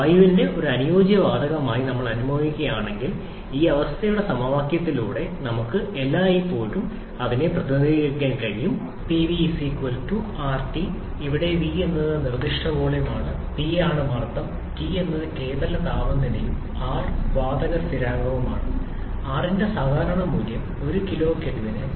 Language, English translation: Malayalam, As we are assuming air to be an ideal gas, so we can always represent it by this equation of state Pv=RT where v is the specific volume, P is the pressure, T is the absolute temperature and R is the gas constant, typical value for R is 0